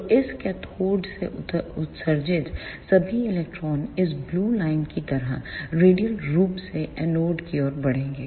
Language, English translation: Hindi, So, all the electrons emitted from this cathode will move radially towards the anode like this blue line